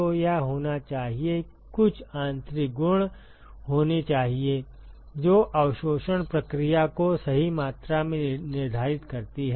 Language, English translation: Hindi, So, it has to, there has to be some intrinsic property, which quantifies the absorption process right